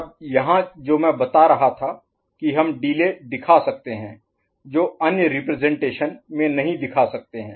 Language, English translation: Hindi, Now here what I was telling that we can show the delay if it is appreciable, which other representations cannot show